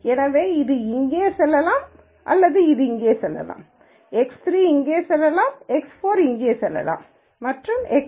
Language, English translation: Tamil, So, let us say this could go here this could go here, x 3 could go here x N could go here maybe an x 4 could go here and so on